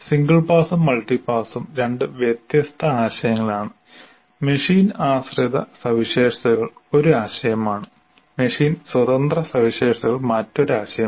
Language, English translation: Malayalam, So, single pass, multipass, there are two different concepts and machine dependent features is one concept and machine independent features is another concept